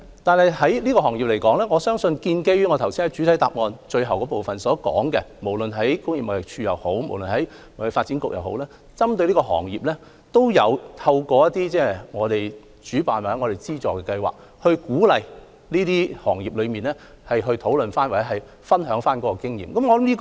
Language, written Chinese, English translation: Cantonese, 但是，就這個行業而言，一如我剛才在主體答覆最後部分所說，無論工業貿易署或香港貿易發展局，均有針對這個行業，透過其主辦或資助的計劃，鼓勵這些行業討論或分享經驗。, However in the case of this industry as I said in the last part of the main reply both TID and the TDC have organized or sponsored programmes to encourage operators to discuss or share their experience